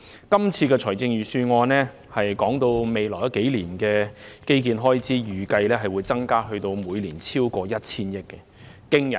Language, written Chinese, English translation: Cantonese, 今次財政預算案提到未來數年的基建開支預計會增加至每年超過 1,000 億元，這是個驚人的數字。, According to the Budget the estimated annual expenditure on infrastructure in the next few years will increase to more than 100 billion which is an astonishing figure